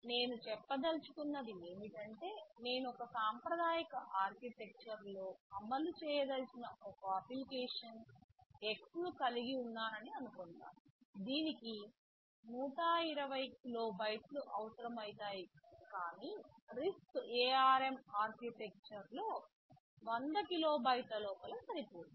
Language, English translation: Telugu, What I mean to say is that, suppose I have an application x X that I want to implement in a conventional architecture maybe it will be requiring 120 kilobytes but in RISC ARM Architecture I can fit it within 100 kilobytes